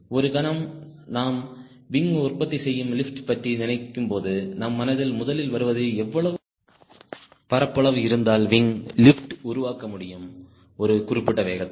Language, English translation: Tamil, the moment we think of wing producing lift, first thing comes to our mind: what will be the area of the wing, we should be able to produce the lift at a particular speed